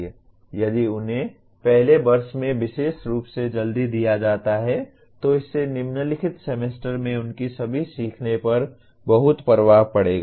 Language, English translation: Hindi, If they are given early especially in the first year, it will have a great impact on all their learning in the following semesters